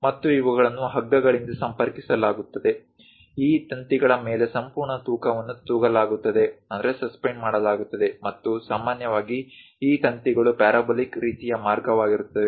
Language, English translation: Kannada, And these will be connected by ropes, entire weight will be suspended on these wires, and typically these wires will be of parabolic kind of path